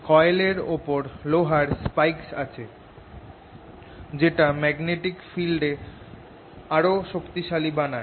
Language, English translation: Bengali, put these iron spikes which make the magnetic field very strong here